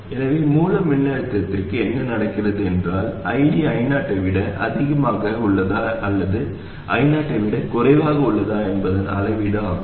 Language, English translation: Tamil, What is happening to the source voltage is a measure of whether ID is greater than I0 or less than I not